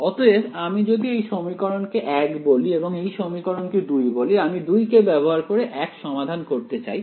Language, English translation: Bengali, So, if I tell if I call this equation 1 and call this equation 2 I want to use 2 in order to solve 1